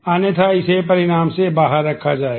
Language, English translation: Hindi, Otherwise it will be excluded from the result